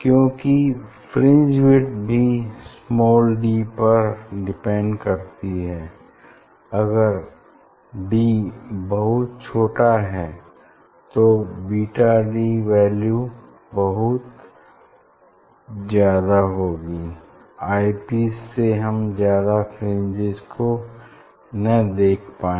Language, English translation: Hindi, Because, fringe width also depends on d if the d is if it is very small if it is very small then beta will be very high